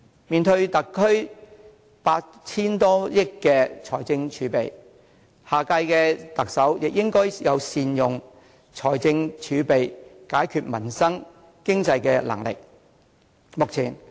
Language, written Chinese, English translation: Cantonese, 面對特區政府 8,000 多億元的財政儲備，下任特首也應該有善用財政儲備、解決民生、改善經濟的能力。, As the SAR Government possesses some 800 billion of fiscal reserves the next Chief Executive should also have the ability to make good use of the fiscal reserves to resolve livelihood problems and improve the economy